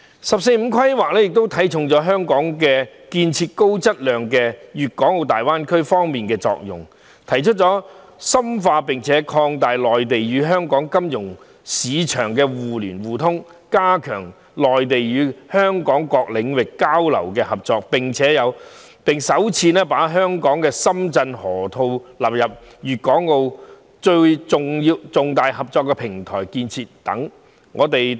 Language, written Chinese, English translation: Cantonese, "十四五"規劃亦看重香港在高質量建設粤港澳大灣區方面的作用，提出深化並擴大內地與香港金融市場互聯互通，加強內地與香港各領域交流合作，並首次把深港河套納入粤港澳重大合作平台建設等。, Hong Kongs role in the high - quality development of the Guangdong - Hong Kong - Macao Greater Bay Area is also given high regard in the 14th Five - Year Plan which proposes to among others deepen and widen mutual access between the financial markets of the Mainland and Hong Kong strengthen exchanges and cooperation between the Mainland and Hong Kong in various areas and include for the first time the Shenzhen - Hong Kong Loop as one of the major platforms for Guangdong - Hong Kong - Macao cooperation to be developed